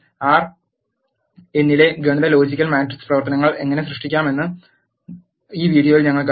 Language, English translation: Malayalam, In this video we have seen how to do arithmetic logical and matrix operations in R